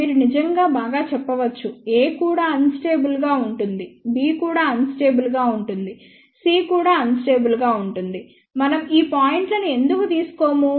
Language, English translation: Telugu, You can actually say that ok well, a is also unstable, b is also unstable, c is also unstable, why we do not take these points